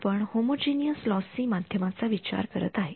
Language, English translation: Marathi, We are considering a homogeneous lossy medium